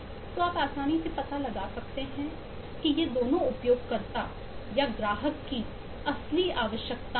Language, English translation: Hindi, so you can easily make out that both of these are real requirements of the user or the client